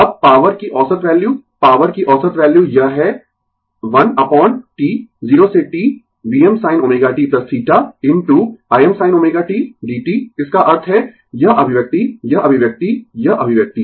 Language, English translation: Hindi, Now, the average value of the power, average value of the power it is 1 upon T 0 to T V m sin omega t plus theta into I m sin omega t dt that means, this expression this expression right, this expression